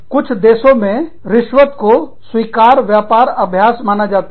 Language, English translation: Hindi, Some countries, consider bribery, to be an acceptable business practice